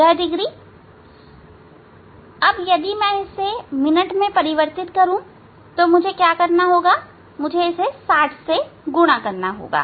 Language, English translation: Hindi, this degree if I convert into minute, so I have to multiply with the 60, ok, I have to sorry